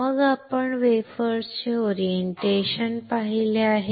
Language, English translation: Marathi, Then we have seen the orientation of the wafers right